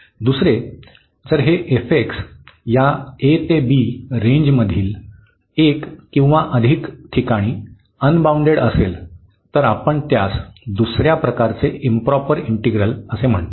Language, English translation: Marathi, The second, if this f x is unbounded at one or more points in this range a to b then we call improper integral of second kind